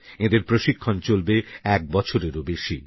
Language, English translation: Bengali, They will be trained for over a year